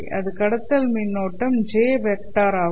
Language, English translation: Tamil, Conduction current being the J vector